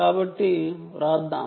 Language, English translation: Telugu, ok, so lets write